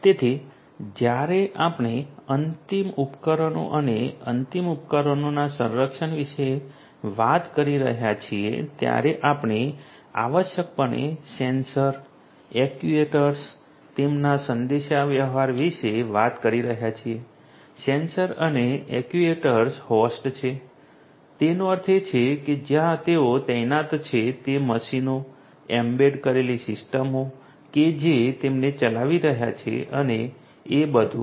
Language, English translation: Gujarati, So, when we are talking about end devices protection of end devices we are talking about essentially sensors, actuators their communication the sensors and actuators they are hosts; that means, the machines where they are deployed, the embedded systems that are running them and so on